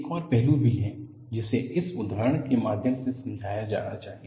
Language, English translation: Hindi, There is also another aspect that is sought to be explained through this example